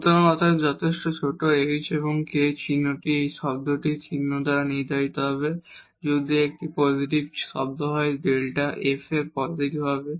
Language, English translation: Bengali, So, therefore, sufficiently small h and k the sign will be determined by the sign of this term, if this is a positive term delta f will be positive